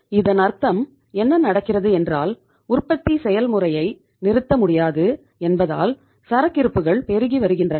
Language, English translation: Tamil, It means what is happening, inventories are mounting because they cannot stop the production process